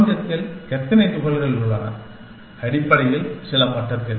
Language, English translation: Tamil, How many particles are there in the universe, at some level of detail, essentially